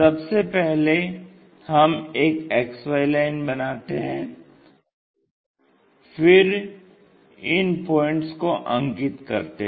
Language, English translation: Hindi, First what we have to do, draw a XY line; X axis Y axis